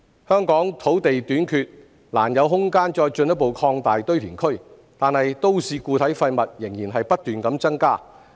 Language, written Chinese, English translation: Cantonese, 香港土地短缺，難有空間再進一步擴大堆填區，但都市固體廢物仍然不斷增加。, Owing to land shortage in Hong Kong there is hardly any room for further expansion of landfills and yet MSW continues to pile up